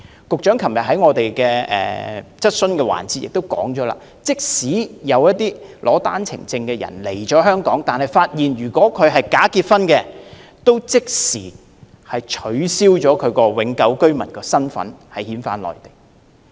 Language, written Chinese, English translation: Cantonese, 局長昨天在質詢環節中指出，如果發現有持單程證來港的人士涉及假結婚，便會即時取消其永久居民的身份並遣返內地。, As pointed out by the Secretary in the oral question session yesterday if they discover that a person who came to Hong Kong on an OWP is involved in bogus marriage they will immediately revoke his permanent resident status and repatriate him to the Mainland